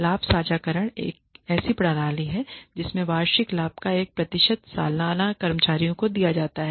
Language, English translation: Hindi, Profit sharing is a system in which the, a percentage of the annual profit is disbursed to the employees annually